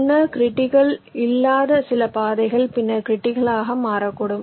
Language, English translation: Tamil, so some of the paths which were not critical earlier might become critical after this change or modification